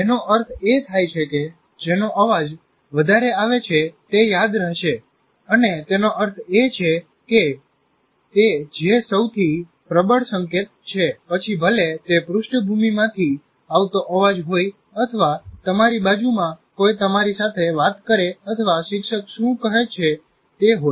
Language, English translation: Gujarati, And that means which is the most dominating signal, whether it is a background noise or somebody next to you talking to you or the what the teacher is saying